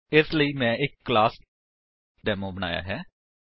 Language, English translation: Punjabi, For that, I have created a class Demo